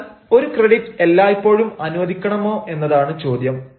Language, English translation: Malayalam, but the question is: should have a credit be always granted